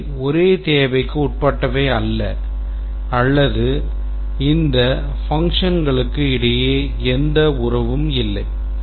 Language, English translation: Tamil, They don't neither belong to the same requirement nor there are any relationship between these functions